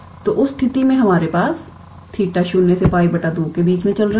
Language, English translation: Hindi, So, in that case we have theta running between 0 to pi by 2